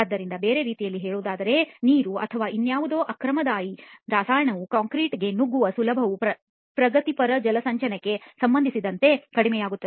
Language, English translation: Kannada, So in other words the ease with which the water or any other aggressive chemical can penetrate the concrete will reduce with respect to progressive hydration